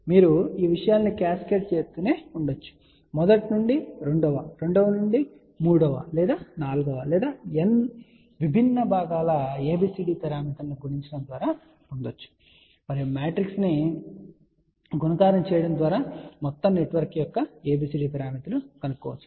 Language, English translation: Telugu, So, you can keep cascading these things and simply by multiplying ABCD of first to second to third or fourth or nth different components can be there and you can find ABCD parameters of the entire network simply by doing the matrix multiplication